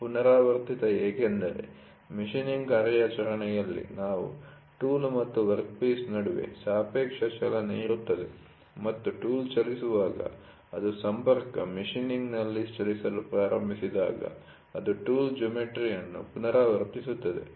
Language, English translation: Kannada, Repetitive because, in machining operation what we do there is a relative motion between tool and the workpiece and as when the tool moves, it is repeating the tool geometry when it starts moving in the contact machining